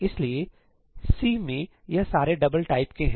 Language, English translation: Hindi, So, all of these are of type double in C, right